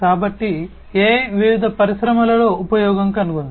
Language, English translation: Telugu, So, AI has found use in different industries